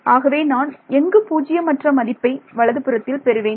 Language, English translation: Tamil, So, where will I get a non zero right hand side from what is the possibility